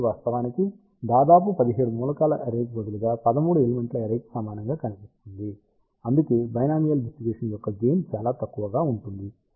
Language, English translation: Telugu, So, In fact, this almost looks like equivalent to a 13 element array instead of 17 element array that is why gain of binomial distribution is relatively small